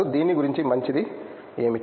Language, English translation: Telugu, What’s nice about it